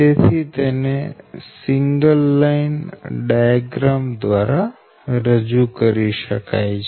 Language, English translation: Gujarati, and this is that your single line diagram